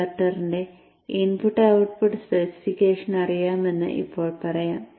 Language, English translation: Malayalam, Now let us say we know the input output spec of the converter